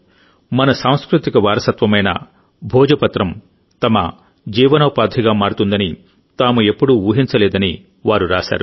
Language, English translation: Telugu, They have written that 'They had never imagined that our erstwhile cultural heritage 'Bhojpatra' could become a means of their livelihood